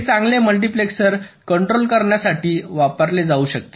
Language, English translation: Marathi, this will can be used to control the multiplexer